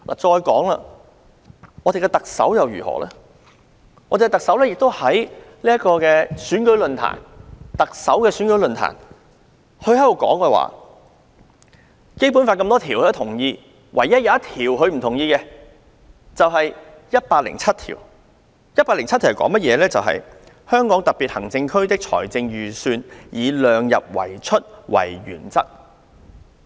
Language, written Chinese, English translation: Cantonese, 再說，林鄭月娥曾在特首選舉論壇上表示，她認同《基本法》各項條文，唯獨不同意第一百零七條。《基本法》第一百零七條訂明："香港特別行政區的財政預算以量入為出為原則"。, As for Carrie LAM she once opined in the Chief Executive election forum that she agreed with all provisions in the Basic Law except Article 107 which provides that [t]he Hong Kong Special Administrative Region shall follow the principle of keeping expenditure within the limits of revenues in drawing up its budget